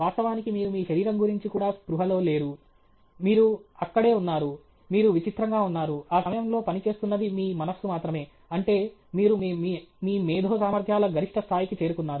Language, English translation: Telugu, You, in fact, you were not conscious about your body also; you were just in, you were just freaking out, it is just your mind which was working at that time; that means, you are at the peak of your intellectual abilities okay